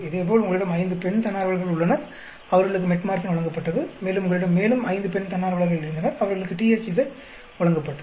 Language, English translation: Tamil, Similarly, you had five female volunteers who were given Metformin and you had five more female volunteers who were given THZ